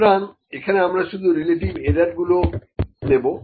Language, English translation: Bengali, So, this becomes, here we will just take the relative errors only